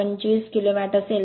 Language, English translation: Marathi, 825 kilo watt right